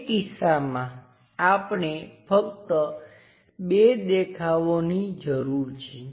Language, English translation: Gujarati, In that case, we just require two views only